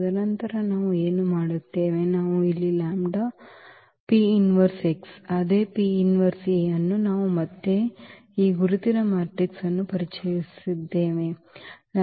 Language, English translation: Kannada, And then what we do, we have here the lambda P inverse x the same, the P inverse A again we have introduced this identity matrix